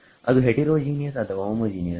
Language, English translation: Kannada, That is heterogeneous or homogeneous